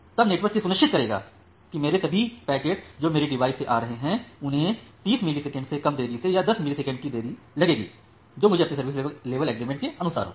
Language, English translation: Hindi, Then the network will ensure that all the packets of my which as coming from my devices, they will get less than 30 millisecond of delay or the 10 milliseconds of delay that I have on my service level agreement